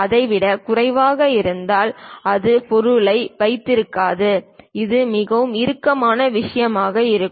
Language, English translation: Tamil, If it is lower than that it may not hold the object, it will be very tight kind of thing